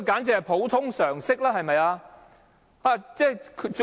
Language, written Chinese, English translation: Cantonese, 這是普通常識，對嗎？, That is general knowledge isnt it?